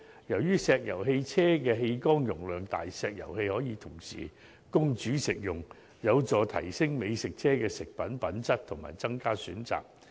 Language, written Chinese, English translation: Cantonese, 由於石油氣車的氣缸容量大，石油氣可同時供煮食用，有助提升美食車食物品質及增加選擇。, As the fuel tank of an LPG vehicle has a large capacity LPG can be used for cooking and this can help raise the quality and increase the variety of the food